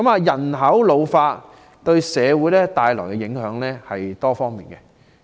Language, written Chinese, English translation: Cantonese, 人口老化為社會帶來的影響是多方面的。, An ageing population will affect society in many ways